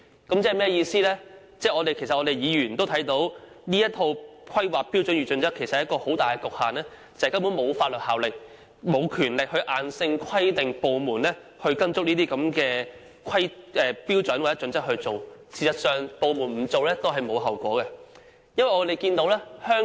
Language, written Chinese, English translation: Cantonese, 這正好反映我們議員都看到，《規劃標準》有一個很大的局限，即沒有法律效力和權力硬性規定有關部門必須根據《規劃標準》行事，有關部門達不到要求也不用承擔後果。, This exactly reflects that we Members have observed a serious limitation of HKPSG that is it has no statutory effect or power to mandatorily require the departments concerned to act in accordance with HKPSG and the departments concerned will not have bear any consequences even if they fail to meet the requirement